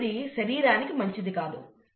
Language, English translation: Telugu, Now this is again not good for the body